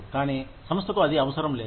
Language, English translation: Telugu, But, the organization, does not need it